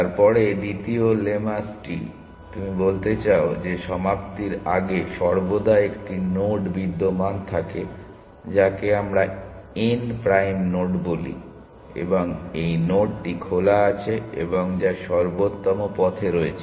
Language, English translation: Bengali, Then the second lemmas you want to says that at all times before termination there exist a node we call this node n prime; and this node is on open and which is on the optimal path